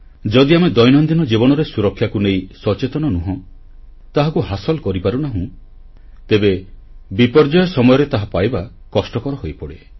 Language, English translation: Odia, If we are not aware of safety in daily life, if we are not able to attain a certain level, it will get extremely difficult during the time of disasters